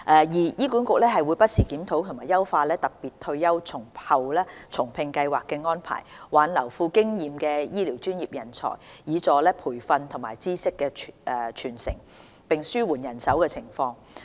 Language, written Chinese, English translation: Cantonese, 二醫管局會不時檢討及優化"特別退休後重聘計劃"的安排，挽留富經驗的醫療專業人才，以助培訓及知識傳承，並紓緩人手情況。, 2 HA reviews and enhances the arrangements for the Special Retired and Rehire Scheme from time to time to retain experienced medical professionals for the purposes of training and knowledge transfer as well as alleviating the manpower shortage